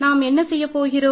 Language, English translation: Tamil, So, what do we do